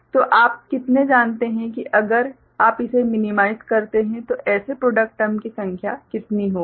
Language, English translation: Hindi, So, how many you know if you minimize it, how many such product terms will be there